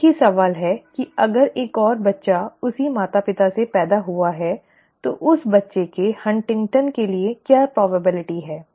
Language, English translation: Hindi, Same question if another child is born to the same parents what is the probability for HuntingtonÕs in that child, okay